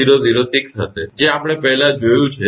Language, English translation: Gujarati, 8006 we have seen earlier